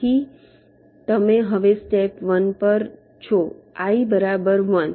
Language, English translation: Gujarati, so you are now at step one